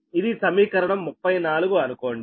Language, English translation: Telugu, this is equation thirty nine